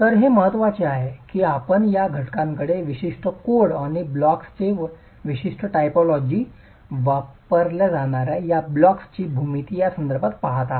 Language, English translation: Marathi, So, it's important that you are looking at these factors with reference to the specific code and the specific typology of blocks, geometry of blocks that are being used